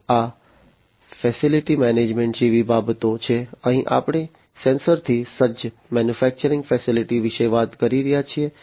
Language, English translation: Gujarati, So, these are the ones like facility management, here we are talking about sensor equipped manufacturing facility